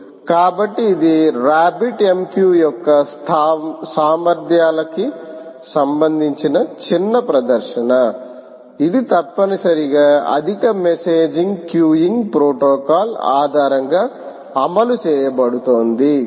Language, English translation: Telugu, so this is a mini demonstration of the capabilities of a rabbit mq which essentially is implemented based on the advanced messaging queuing protocol